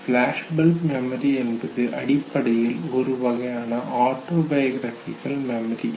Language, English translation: Tamil, Now flashbulb memory basically is just one type of autobiographical memory